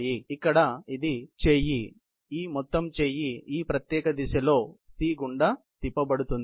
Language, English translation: Telugu, So, the whole arm here; this whole arm is going to get rotated in this particular direction about